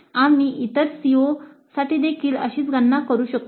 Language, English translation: Marathi, We can do similar computations for all the other COs also